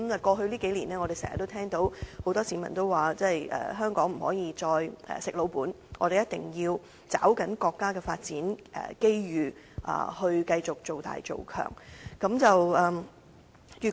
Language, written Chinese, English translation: Cantonese, 過去數年，我們經常聽到很多市民說，香港不可以再"食老本"，我們一定要抓緊國家的發展機遇，繼續造大造強。, In these few years we often hear people say that Hong Kong can no longer rest on its own laurels and that we must grasp the development opportunities of our country in order to further develop and strengthen ourselves